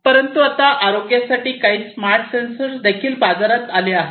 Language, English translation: Marathi, But now there are some smarter sensors for healthcare purposes that have also come up